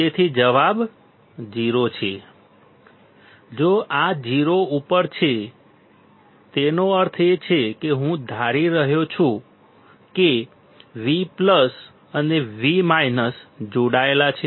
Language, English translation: Gujarati, So, the answer is 0; if this is at 0; that means, I am assuming that V plus and V minus are connected